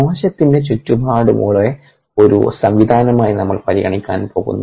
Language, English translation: Malayalam, we are going to consider the surrounding of the cell as isas a system